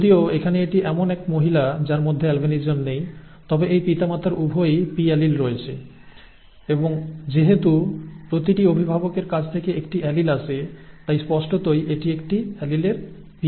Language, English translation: Bengali, Whereas here the person does not have, itÕs a female who does not have albinism, okay, whereas this parent has both small p alleles and since one allele comes from each parent, definitely one of the alleles has to be p